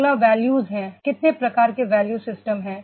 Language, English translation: Hindi, Next is the values, what type of the value systems are there